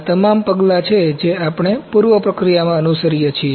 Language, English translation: Gujarati, All these are the steps that we follow in preprocessing